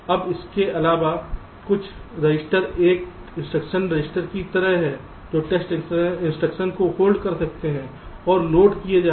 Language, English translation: Hindi, now in addition, there are some at some, some registers, like an instruction register which can whole the test instruction that is being loaded